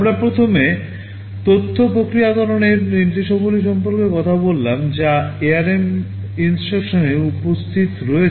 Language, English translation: Bengali, We first talked about the data processing instructions that are present in the ARM instruction set